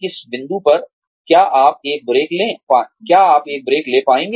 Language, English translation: Hindi, At what point, will you be able to, take a break